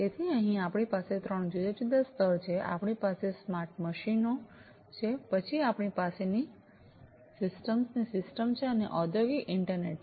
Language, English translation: Gujarati, So, here we have three different tiers, we have the smart machines, then we have system of systems, and the industrial internet